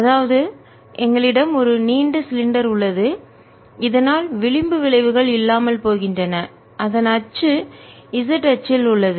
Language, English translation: Tamil, so we have a long cylinder so that fringe effects are gone, with its axis on the z axis